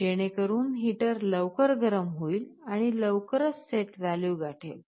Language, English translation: Marathi, So, the heater heats up quickly so that it very quickly attains the set value